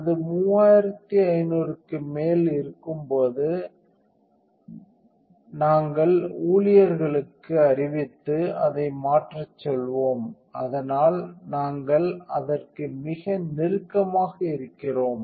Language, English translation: Tamil, So, when it is over 3500 we would notify staff and tell them to change it, so we are pretty close to that